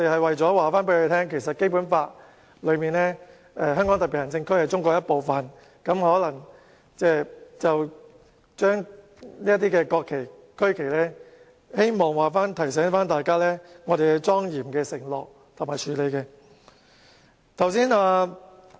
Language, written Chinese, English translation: Cantonese, 為了告訴他們，《基本法》訂明香港特別行政區是中國的一部分，我們便擺放國旗和區旗，提醒大家需要莊嚴地承諾和處理。, To tell them that the Basic Law clearly stipulates that the Hong Kong Special Administrative Region is a part of China we displayed the national and regional flags to remind Members that we need to make and treat our pledge solemnly